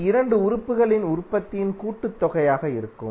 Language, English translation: Tamil, This would be the the sum of the product of 2 elements